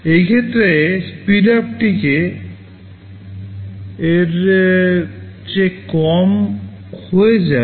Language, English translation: Bengali, In those cases, the speedup will become less than k